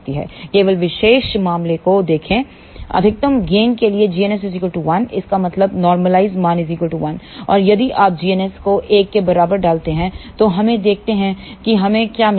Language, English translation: Hindi, Let just look at the special case, for maximum gain g ns is equal to 1; that means, normalize value is equal to 1 and if you put g ns equal to 1 here let us see what we get